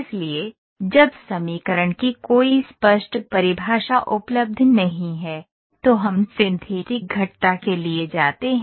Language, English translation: Hindi, So, where there is no clear definition of equation available, then we go for synthetic curves